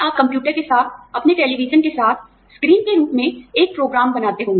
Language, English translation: Hindi, You would make a program, with the computer, with your television, as the screen